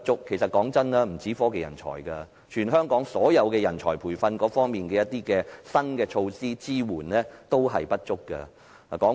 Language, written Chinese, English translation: Cantonese, 老實說，不僅是科技人才，全香港所有人才培訓的新措施和支援同樣不足。, To be honest not only technology talent but the training of all kinds of talent in Hong Kong is insufficient in terms of new measures and support